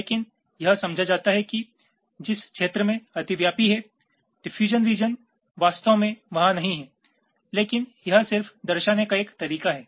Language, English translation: Hindi, but it is understood that in the region which is overlapping the diffusion green region is actually not their, but this is just a matter of convention